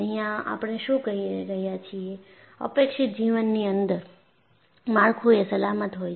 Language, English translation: Gujarati, What we are saying here is, within the life that is anticipated, the structure is safe